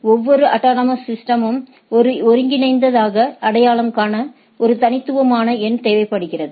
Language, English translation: Tamil, And so that we every autonomous system as a unified is a unique number to identify